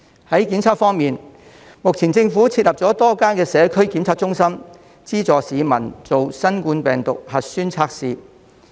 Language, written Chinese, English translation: Cantonese, 在檢測方面，目前政府設立了多間社區檢測中心，資助市民進行新冠病毒核酸測試。, Regarding virus testing the Government has established a number of Community Testing Centres to subsidize people to take the COVID - 19 nucleic acid test